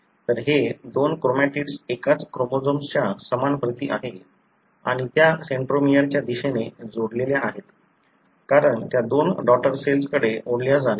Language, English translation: Marathi, So, these two chromatids are identical copies of the same chromosome and they are attached towards the centromere, because they are about to be pulled to the two daughter cells